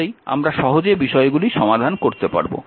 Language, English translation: Bengali, Then only we can we can solve things easily